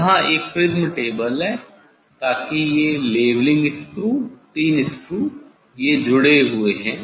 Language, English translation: Hindi, here one prism table so this leveling screws three screws, they are connected